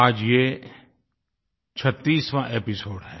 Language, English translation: Hindi, This is the 36th episode today